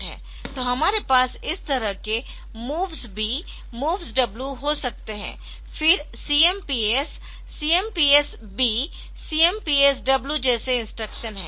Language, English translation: Hindi, So, we can have this moves MOVS B, MOVS W like that, then CMPs, CMPs B, CMPs W like that